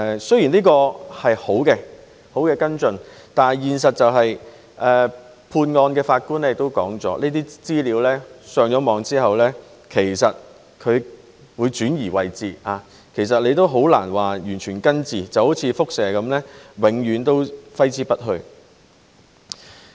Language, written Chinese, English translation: Cantonese, 雖然這是好的跟進，但判案的法官亦指出，這些資料被上載互聯網後會被轉移位置，其實很難完全根治，就好像輻射般，永遠揮之不去。, This is a good follow - up . However the judge who ruled on the case also says that the data uploaded onto the Internet would be transferred to other locations and it is very difficult to uproot the data; and it is like radiation and will never go away